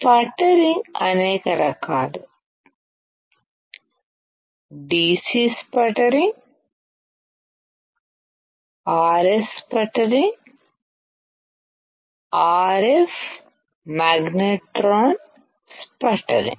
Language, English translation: Telugu, There are several types sputtering: DC sputtering, RS sputtering, RF magnetron sputtering